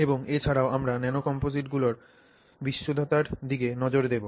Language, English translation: Bengali, And also we will look at purity in nanocomposites